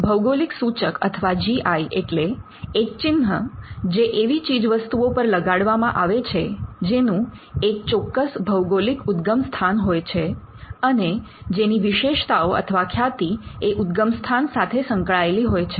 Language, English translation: Gujarati, A geographical indication or GI is sign used on products that have a specific geographical origin and possess qualities or a reputation that are due to that origin